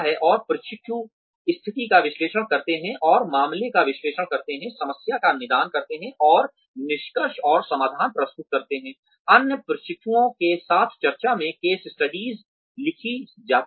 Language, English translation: Hindi, And, the trainees analyze the situation, and analyze the case, diagnose the problem, and present the findings and solutions, in discussion with other trainees